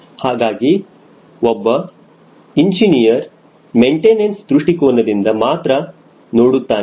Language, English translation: Kannada, so for an engineer, he sees from purely from maintenance angle